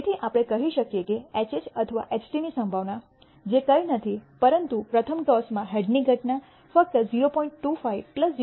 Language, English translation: Gujarati, So, we can say the probability of either a HH or a HT which is nothing but the event of a head in the first toss is simply 0